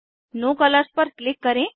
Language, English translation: Hindi, Click on No colors